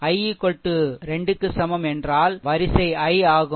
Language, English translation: Tamil, And i is equal to 2 means ah ith row